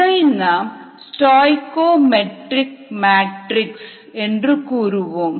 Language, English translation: Tamil, so this is what is called a stoichiometric matrix, is with a hat above